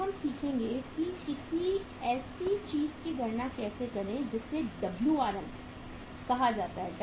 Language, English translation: Hindi, Now we will learn how to calculate something which is called as Wrm